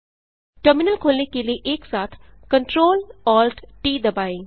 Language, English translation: Hindi, Press CTRL+ALT+T simultaneously to open the terminal